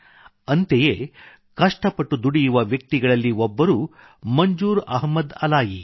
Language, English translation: Kannada, One such enterprising person is Manzoor Ahmad Alai